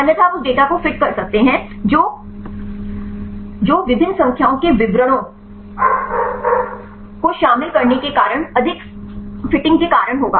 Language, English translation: Hindi, Otherwise you can fit the data that will cause over fitting due to the inclusion of various number of descriptors